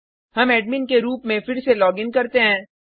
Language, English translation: Hindi, Let us login again as the admin